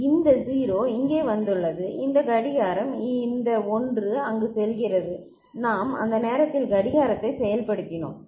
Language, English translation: Tamil, So, this 0 comes over here ok, this clock this 1 goes over there and we are just you know, activated the clock at that time